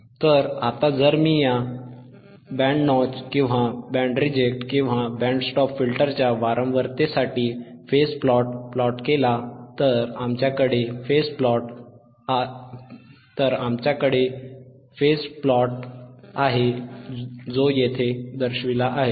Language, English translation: Marathi, Then I will see here if you if you want to have a phase plot for frequency forof this band notch filter or band reject filter or band stop filter, then we have phase plot which is shown here in here right